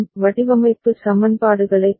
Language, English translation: Tamil, To get the design equations